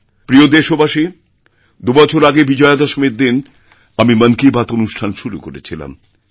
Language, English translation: Bengali, My dear countrymen, I had started 'Mann Ki Baat' on Vijayadashmi two years ago